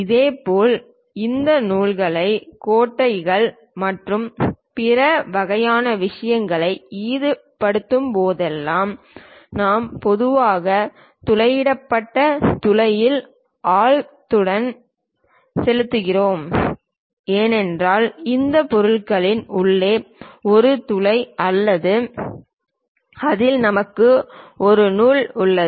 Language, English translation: Tamil, Similarly whenever these threads bolts nuts and other kind of things are involved, we usually go with depth of the drilled hole for example, for this object inside there is a hole in which you have a thread